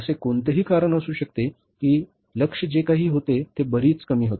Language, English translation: Marathi, There could be a reason that whatever the target was, that was much less